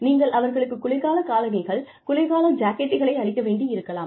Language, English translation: Tamil, You may need to give them, winter shoes, winter jackets